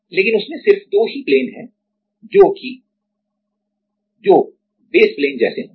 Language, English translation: Hindi, But in that, there are only two planes which will be like the which will be the basis plane right